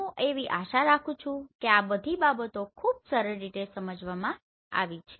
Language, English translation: Gujarati, I hope all these things are explained in very simple manner